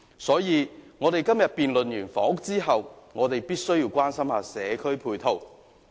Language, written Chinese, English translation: Cantonese, 因此，在今天完成有關房屋的辯論後，我們也要關心社區配套。, Therefore after our debate on housing today we should also show some concern for community facilities